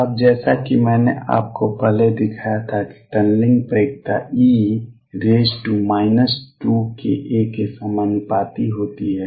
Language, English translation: Hindi, Now as I showed you earlier that the tunneling probability is proportional to minus 2 k a